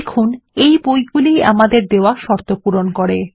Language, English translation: Bengali, There, these are the books that met our conditions